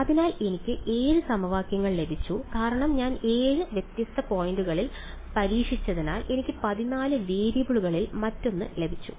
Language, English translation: Malayalam, So, I got 7 equations because I tested at 7 different points I got another of 14 variables